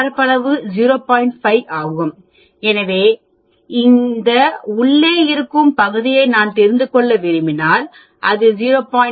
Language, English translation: Tamil, 5, so if I want to know this inside portion that will be 0